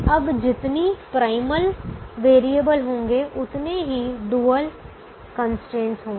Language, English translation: Hindi, there will be as many dual variables as the primal constraints